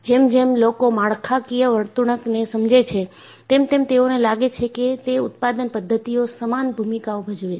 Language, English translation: Gujarati, And, as people understand the structural behavior, they also felt production methods play an equal goal